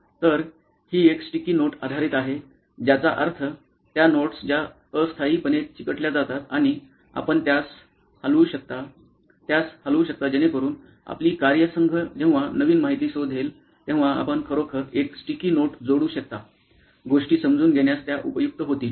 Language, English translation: Marathi, So, it is sticky note based, meaning those notes that stick temporarily and you can remove, move it around so that as in when new information your team figures out, you can actually add a sticky note, move things around as your understanding becomes better